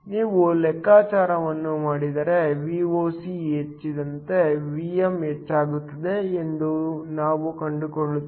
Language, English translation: Kannada, If you do the calculation, we find that Vm will increase as Voc increases